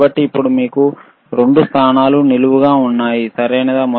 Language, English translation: Telugu, So now you have 2 positions vertical, right